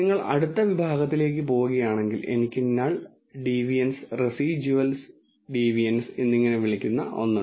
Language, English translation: Malayalam, If you go to next section I have something called null deviance and residual deviance